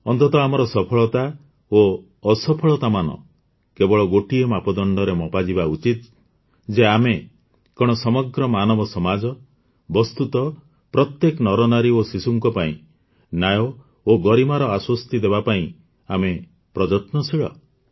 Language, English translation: Odia, Ultimately, the only criterion to measure our successes and failures is whether we strive to assure justice and dignity to the entire humanity, virtually every man, woman and child